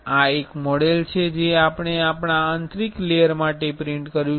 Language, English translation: Gujarati, This is one model we have printed for our inner layer